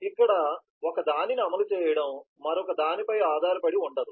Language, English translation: Telugu, it is not the execution of one here is not dependent on the other